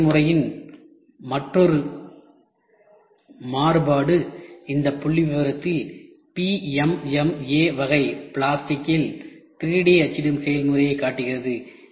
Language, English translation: Tamil, Another variation of this process is displayed in this figure showing that 3D printing process of PMMA type plastic, these are all plastic provided precise casting as well